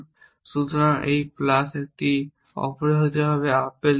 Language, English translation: Bengali, So, this plus this should give you apple essentially